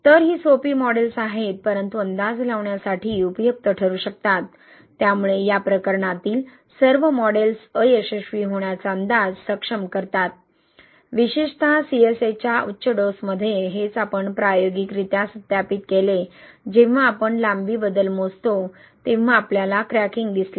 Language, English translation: Marathi, So, these are simplistic models but can be useful to predict, so, all models in this case enables the prediction of failure, especially at high dosage of CSA, that is what we also verified experimentally, right, when we measure the length change, we saw cracking in the sample with thirty percent CSA